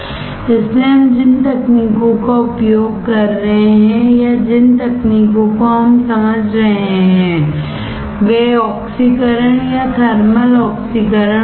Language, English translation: Hindi, So, the techniques that we will be using or techniques that we will be understanding would be oxidation or thermal oxidation